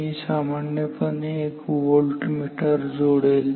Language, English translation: Marathi, I generally connect a voltmeter